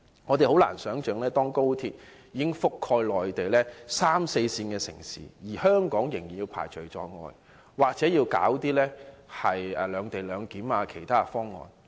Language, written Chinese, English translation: Cantonese, 我們很難想象，當高鐵已覆蓋內地的三四線城市，而香港仍被排除在外，又或是要推出"兩地兩檢"等其他方案。, It is difficult for us to imagine that while XRL has already covered third or fourth tier cities on the Mainland Hong Kong is still being excluded or has to make other proposals such as a separate - location arrangement